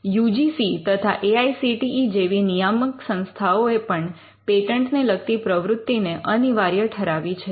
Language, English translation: Gujarati, The UGC and the AICTE regulatory bodies have also mandated some kind of activity around patents for instance